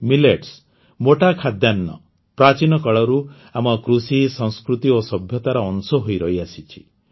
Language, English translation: Odia, Millets, coarse grains, have been a part of our Agriculture, Culture and Civilization since ancient times